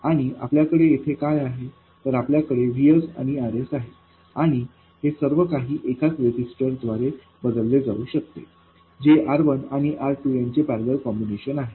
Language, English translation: Marathi, We have Vs, RS, RS, and this whole thing can be replaced by a single resistor which is R1 parallel R2